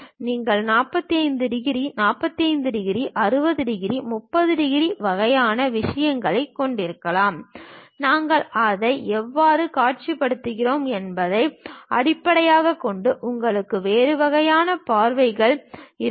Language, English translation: Tamil, You can have 45 degrees, 45 degrees, 60 degrees, 30 degrees kind of thing; based on how we are visualizing that, you will have different kind of views